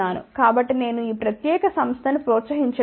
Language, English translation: Telugu, So, I am not promoting this particular company ok